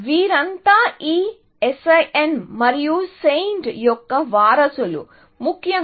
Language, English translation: Telugu, These are all the descendants of this SIN and SAINT, essentially